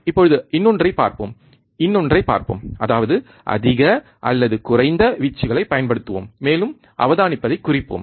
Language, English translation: Tamil, Now, let us see another one, another one; that is, we will apply higher or lower amplitude and note down the observation